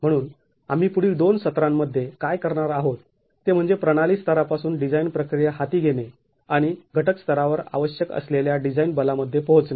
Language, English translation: Marathi, So, what we will do in the next couple of sessions is to take up the design process from system level and arrive at the design forces that are required at the component level